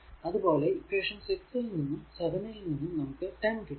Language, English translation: Malayalam, Now solving equation 6 and 10 we get